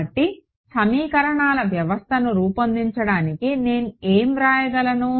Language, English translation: Telugu, So, to generate the system of equations what will I what can I write it